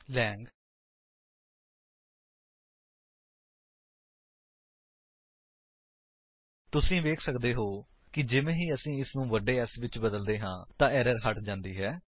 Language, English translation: Punjabi, You can see that once we change it to capital S, the error is missing